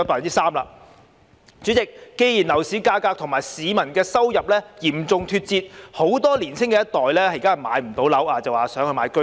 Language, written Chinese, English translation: Cantonese, 代理主席，既然樓市價格與市民的收入嚴重脫節，很多年青一代買不到樓便想購買居屋。, Deputy President since the property prices have become seriously out of tune with peoples incomes many young generations can only purchase the Home Ownership Scheme HOS flats as they cannot afford to buy other flats